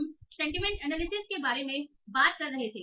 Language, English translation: Hindi, So we were talking about sentiment analysis